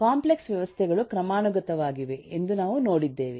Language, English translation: Kannada, uh, we have seen that the complex systems are hierarchic